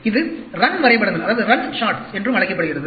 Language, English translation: Tamil, It is also called run charts